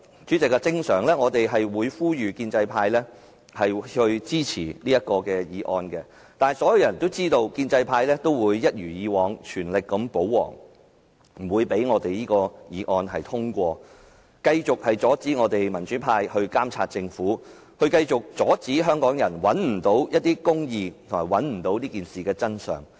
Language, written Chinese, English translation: Cantonese, 主席，通常我們會呼籲建制派同事支持議案，但所有人都知道，建制派會一如既往，全力保皇，不會讓這議案通過，繼續阻止民主派監察政府，繼續阻止香港人尋求公義、找尋這件事的真相。, President normally we would call upon the pro - establishment colleagues to support our motion but everyone knows that the pro - establishment camp will as always spare no effort to shield the Government and will not let this motion be passed in order to keep impeding the democrats efforts to monitor the Government as well as to stop Hong Kong people from seeking justice and finding out the truth about this incident